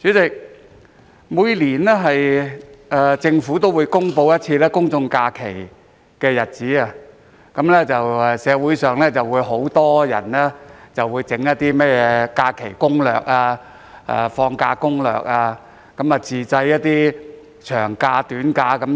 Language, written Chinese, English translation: Cantonese, 代理主席，政府每年都會公布公眾假期的日子，很多人便會創作假期攻略或放假攻略，並建議如何自製長假、短假等。, Deputy President the Government announces general holiday dates every year . Many people will then develop leave or vacation strategies and make plans for long and short vacation